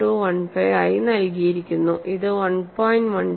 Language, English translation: Malayalam, 1215 which is simplified as 1